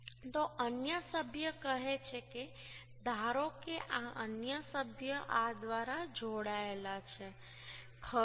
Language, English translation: Gujarati, So another member say: suppose, is this another member is joint through this right